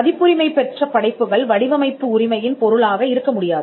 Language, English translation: Tamil, Copyrighted works cannot be a subject matter of design right, because it is protected by a different regime